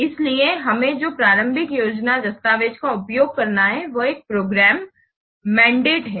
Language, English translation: Hindi, So the initial planning document that we have to use each program mandate